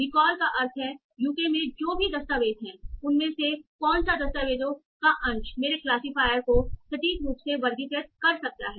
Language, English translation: Hindi, Recall means among whatever documents that are in the class UK, what fraction of the documents could my classifier accurately classify